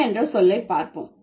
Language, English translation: Tamil, Let's look at the word lady